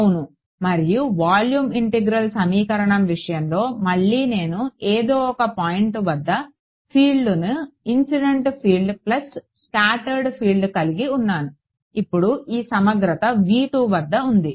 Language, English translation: Telugu, Right and in the case of the volume integral equation again I have the field at some point is incident field plus scattered field, now this integral is over V 2